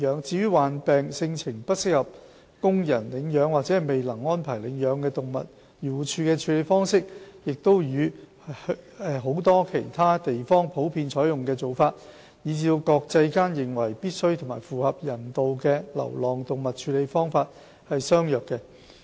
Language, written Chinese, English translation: Cantonese, 至於患病、性情不適宜供人領養或未能安排領養的動物，漁護署的處理方式與許多其他地方普遍採用的做法，以至國際間認為必需及符合人道的流浪動物處理方式，是相若的。, As for animals that are sick with a temperament unsuitable for re - homing or could not be re - homed the practice of AFCD is comparable to that generally adopted in many other countries and is in line with the practice deemed to be necessary and humane adopted internationally